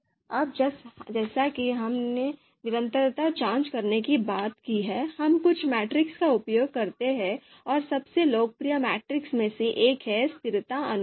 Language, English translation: Hindi, Now as we have talked about for you know for performing consistency check, we use certain metrics and one of the you know most popular you know metrics is consistency ratio